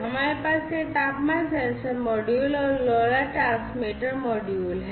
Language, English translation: Hindi, We have this temperature sensor this one this is the temperature sensor this is this LoRa transmitter module